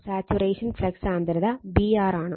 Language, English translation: Malayalam, Thus is by is the saturation flux density B r